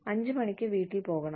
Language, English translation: Malayalam, You get to go home at 5 o'clock